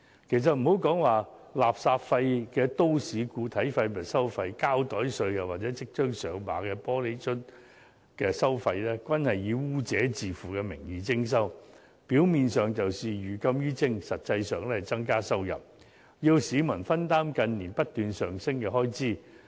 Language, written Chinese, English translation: Cantonese, 事實上，不論是稱作垃圾費的都市固體廢物收費、膠袋稅，或即將"上馬"的玻璃樽收費，均是以"污染者自付"的名義徵收，表面上是寓禁於徵，實際上是增加收入，要市民分擔近年不斷上升的開支。, Actually such measures as the municipal solid waste charging the plastic bag levy or the soon - to - be - launched glass beverage bottle levy are all implemented under the disguise of polluters pay . On the surface it is a policy of prohibition by means of levy . In reality it is a means the Government employs to increase its revenue and to make members of the public share the burden of increasing public expenditure